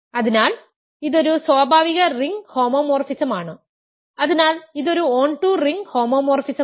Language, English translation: Malayalam, So, this is a natural ring homomorphism, so it is an onto ring homomorphism